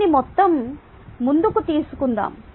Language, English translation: Telugu, let me take this further